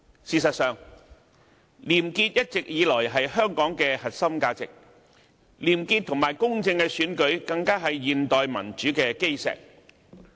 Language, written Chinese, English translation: Cantonese, 事實上，廉潔一直以來是香港的核心價值，而廉潔及公正的選舉更是現代民主的基石。, As a matter of fact integrity has all along been a core value of Hong Kong and a clean and fair election is the foundation of contemporary democracy